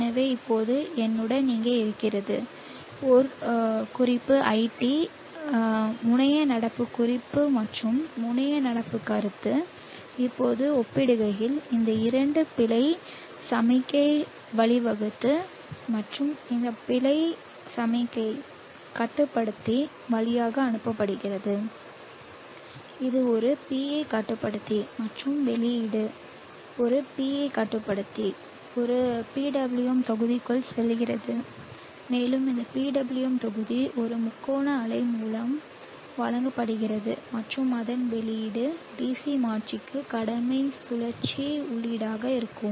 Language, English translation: Tamil, Which now behaves as a PV source emulator it is supposed to be a current controlled converter so the terminal current I T is supposed to be controlled so therefore I know how herewith me a reference ID reference the terminal current reference and terminal current feedback now these two on comparison leads to an error signal and this error signal is passed through controller which is a PI controller and output of a bi controller goes into a PWM block and this PWM block is applied with a triangle wave and output of that will be the duty cycle input to a DC converter